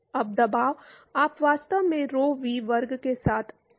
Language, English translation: Hindi, Now, pressure you can actually scale with rho v square